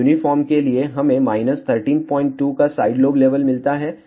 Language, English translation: Hindi, So, 4 uniform we get sidelobe level of minus 13